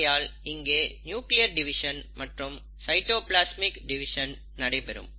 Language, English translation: Tamil, So you have nuclear division, you have cytoplasmic division